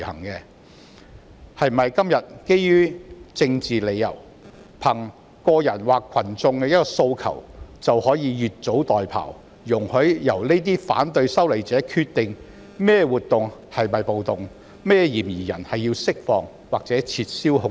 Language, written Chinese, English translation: Cantonese, 今天基於政治理由，憑個人或群眾的一個訴求，是否就可以越俎代庖，容許由反對修例者決定某些活動屬於"暴動"、某些嫌疑人須獲釋放或撤銷控罪？, Today can anyone owing to political reasons the demands of individuals or a crowd meddle in other peoples affairs and allow opponents of the legislative amendment to determine whether certain activities are categorized as riots whether certain suspects should be released or whether their charges be dropped?